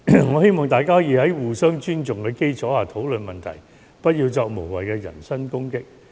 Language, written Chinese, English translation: Cantonese, 我希望大家可以在互相尊重的基礎上討論問題，不要作無謂的人身攻擊。, I hope Members can discuss the issue on the basis of mutual respect and we should refrain from making any personal attack